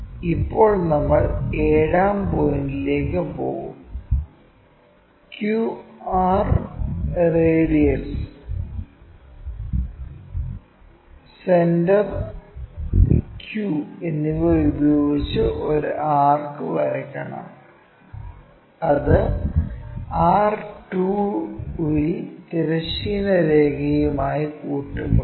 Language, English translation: Malayalam, Now, we will move on to seventh point; where we have to draw an arc with center q and radius q r that is from q r radius to meet horizontal line at r2